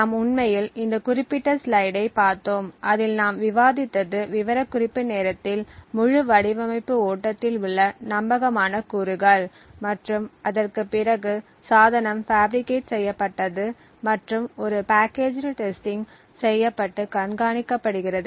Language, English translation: Tamil, So we in fact had looked at this particular slide wherein we actually discussed that the only trusted components in this entire design flow is at the time of specification and after the device is fabricated and there is a packaged testing that is done and monitoring